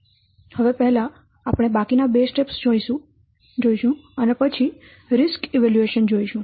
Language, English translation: Gujarati, So the other remaining two steps are we will see first, then we will see the risk evaluation